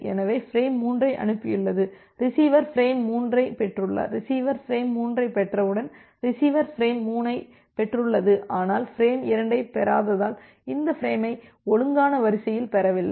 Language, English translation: Tamil, So, it has transmitted frame 3 so, the receiver has received frame 3 once the receiver has received frame 3 then it has received this frame out of order because it has not received frame 2, but it has received frame 3